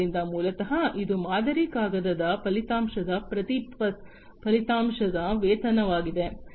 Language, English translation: Kannada, So, basically it is a pay per outcome kind of model paper outcome